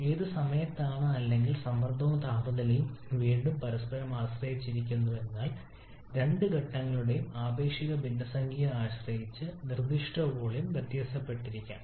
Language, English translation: Malayalam, During which or along which the pressure and temperature are again depending on each other but the specific volume may keep on varying depending upon the relative fraction of both the phases